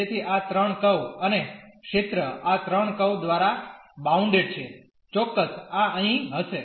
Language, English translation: Gujarati, So, these 3 curves and the area bounded by these 3 curves will be precisely this one here